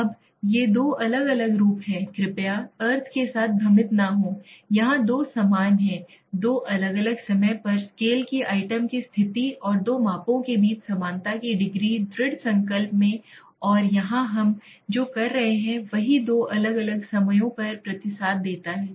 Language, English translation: Hindi, Now these are two different forms please do not confused with the meaning, here two identical state of scale items at two different times and the degree of similarity between two measurements in determined and here what we are doing is same responded at two different times